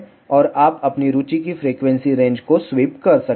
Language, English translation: Hindi, And you can sweep the frequency range of your interest